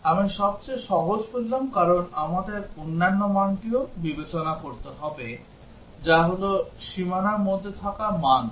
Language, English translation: Bengali, I said the simplest because we have to also consider the other value that is namely the value that is just inside the boundary as well